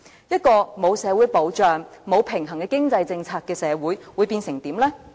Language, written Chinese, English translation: Cantonese, 一個沒有社會保障、沒有平衡的經濟政策的社會會變成怎樣呢？, What will become of a society that neither offers any social security nor follows an equitable economic policy?